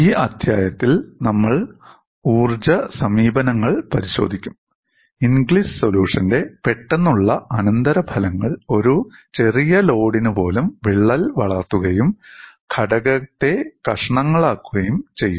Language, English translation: Malayalam, In this chapter, we would look at the energy approach and immediate consequence of Inglis solution is even for a small load the crack may grow and break the component into pieces